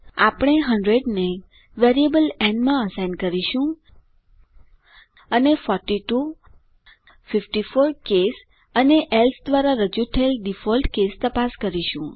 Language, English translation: Gujarati, We will assign 100 to a variable n and check the cases 42, 54 and a default case represented by else